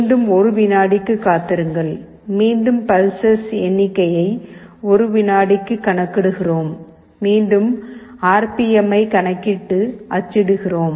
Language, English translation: Tamil, Again wait for 1 second, again the pulses will get counted for 1 seconds, again we calculate RPM and print it